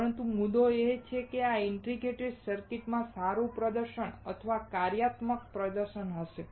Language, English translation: Gujarati, But the point is, that these integrated circuits will have a better performance or functional performance